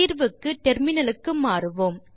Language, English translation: Tamil, Switch to the terminal now